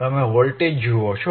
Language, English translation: Gujarati, You see the voltage;